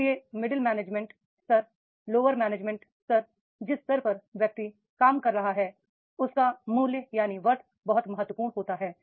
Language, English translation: Hindi, So, at the middle management level, lower management level, at whatever level is the person is working, but his worth that becomes very, very important